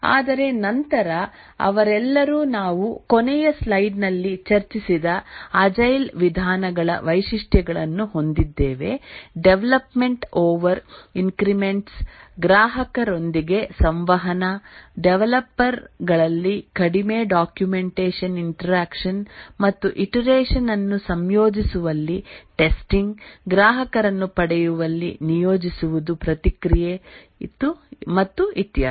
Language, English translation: Kannada, But then they all have the features of the agile methodologies which we just so discussed in the last slide, development over increments, interaction with the customer, less documentation, interaction among the developers, testing, integrating and testing over each iteration, deploying, getting customer feedback and so on